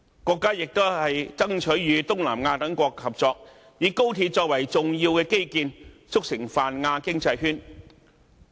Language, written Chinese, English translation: Cantonese, 國家亦都爭取與東南亞等國家合作，以高鐵作為重要的基建，促成泛亞經濟圈。, Taking the national HSR network as an important infrastructure the country is also striving for cooperation with Southeast Asian countries so as to form a Pan - Asian economic circle